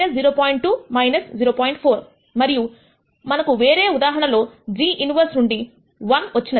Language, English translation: Telugu, 4 and one we got in the other case come out of this g inverse